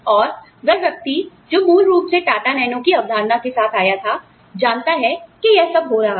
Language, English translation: Hindi, Now, the person, who originally came up, with the concept of Tata Nano, knows that, all this is happening